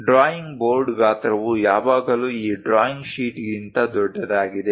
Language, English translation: Kannada, The drawing board size is always be larger than this drawing sheet